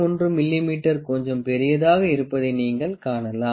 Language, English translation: Tamil, 1 mm is a little larger